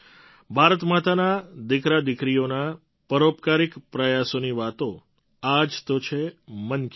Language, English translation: Gujarati, Talking about the philanthropic efforts of the sons and daughters of Mother India is what 'Mann Ki Baat' is all about